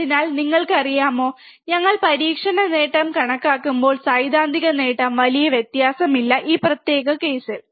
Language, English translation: Malayalam, So, we see that, you know, not much difference happens when we calculate experiment gain with theoretical gain in this particular case